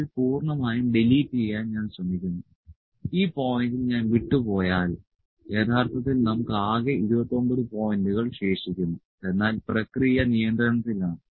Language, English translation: Malayalam, Let me try to just delete cell completely if I leave at this point, we are left with total 29 points actually, but the process comes in control